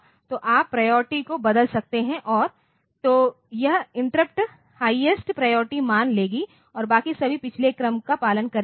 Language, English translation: Hindi, So, you can change the priorities and so, that interrupt will assume the highest priority and rest of them will follow the previous order